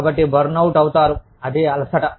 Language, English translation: Telugu, So, burnout is exhaustion